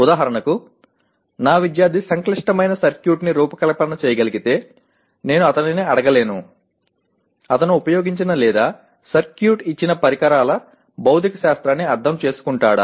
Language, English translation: Telugu, For example if I want my student should be able to design let us say a complex circuit, I cannot merely ask him, assess him only in terms of does he understand the physics of the devices that are used or given a circuit what does it function